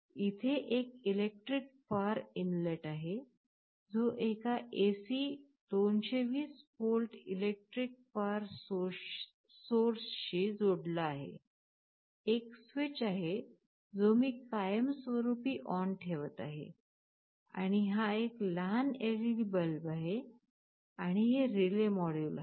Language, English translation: Marathi, There is an electric power inlet, which is connected to an electric power source AC 220 volts, there is a switch which I am permanently putting as on, and this is a small LED bulb I am using, and this is the relay module that we are using